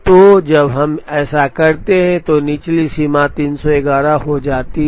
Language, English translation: Hindi, So, the lower bound becomes 311 when we do this